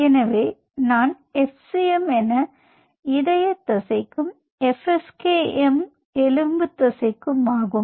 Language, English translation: Tamil, so if this one i call it as fc, this is f, skm, ok, cm for cardiac muscle